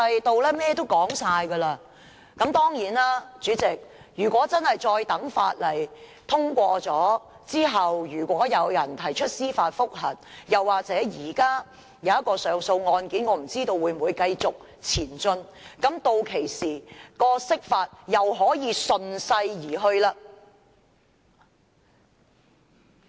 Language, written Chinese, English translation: Cantonese, 當然，代理主席，如果《條例草案》通過後有人提出司法覆核，又或現時那宗上訴案件有甚麼新進展，屆時釋法又可以順勢而行了。, Of course Deputy President if someone files a judicial review after the Bill is passed or if the appeal case has any new development this will give the authorities a valid reason to interpret the Basic Law again